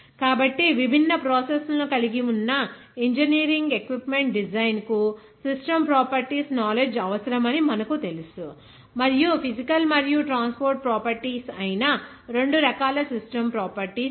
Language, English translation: Telugu, So, therefore, you know that knowledge of the system properties is required for engineering design of the equipment that involves different processes, and there are 2 types of system properties which are physical and transport properties